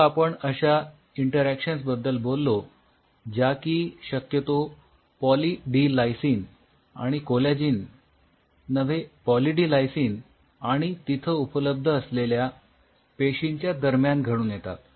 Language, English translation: Marathi, Now we talked about the interaction which is possibly happening between Poly D Lysine and collagen a Poly D Lysine and the cell which are present there and there are 2 level